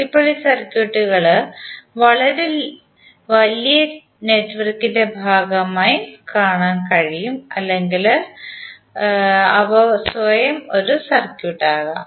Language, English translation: Malayalam, Now these circuits are, you can see them either part of very large network or they can be the circuit themselves